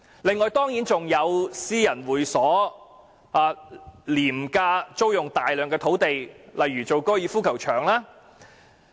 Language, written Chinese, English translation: Cantonese, 此外，還有私人會所廉價租用大量土地，例如用作高爾夫球場。, In addition many sites are leased to private clubs at low prices to serve as for example golf courses